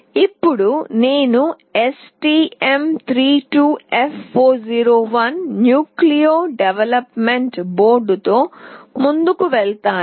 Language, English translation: Telugu, Now, I will move on with STM32F401 Nucleo development board